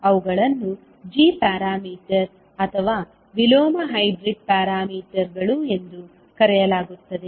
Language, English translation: Kannada, They are called as a g parameter or inverse hybrid parameters